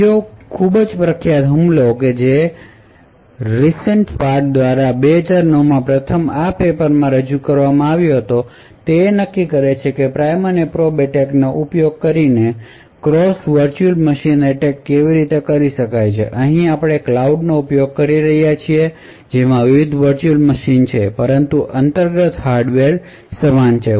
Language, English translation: Gujarati, Another very famous attack which was first presented in this particular paper by Ristenpart in 2009, determines how cross virtual machine attacks can be done using something like the prime and probe attack, here we are using a cloud environment which have different virtual machines but the underlying hardware is the same